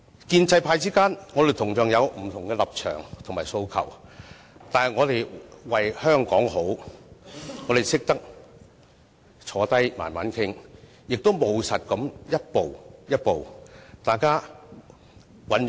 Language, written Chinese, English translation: Cantonese, 建制派之間，同樣有不同立場及訴求，但我們為了香港好，懂得坐下慢慢商量，務實地一步步尋求共識。, Among pro - establishment Members we likewise take different positions and have different aspirations but for the sake of Hong Kong we are willing to sit down to engage in dialogue and seek consensus in a pragmatic and orderly manner